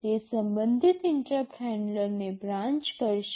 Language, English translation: Gujarati, It will branch to the corresponding interrupt handler